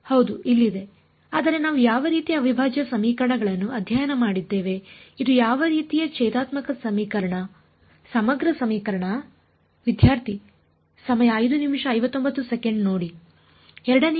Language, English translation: Kannada, Yes here it is, but which kind we have studied different kinds of integral equations what kind of differential equation integral equation is this